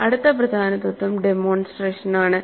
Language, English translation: Malayalam, The next important principle is demonstration